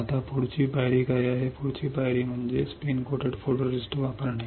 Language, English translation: Marathi, Now, once you what is the next step; next step is use spin coat photoresist